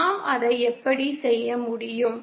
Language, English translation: Tamil, How can we do that